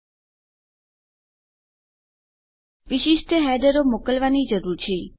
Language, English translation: Gujarati, We need to send to specific headers